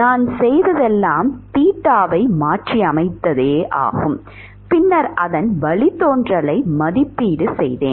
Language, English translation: Tamil, All I have done is I have substituted theta and then just evaluated the derivatives